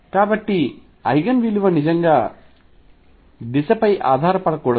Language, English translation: Telugu, So, Eigen value should not really depend on the direction